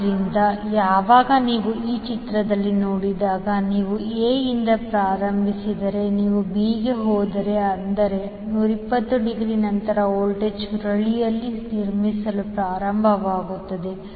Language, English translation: Kannada, So, when, when you see in this figure if you start from A then if you move to B that means that after 120 degree the voltage will start building up in the coil